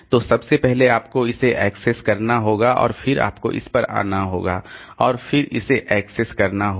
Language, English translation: Hindi, So, first of all you have to access this, then you have to come to this one and then access this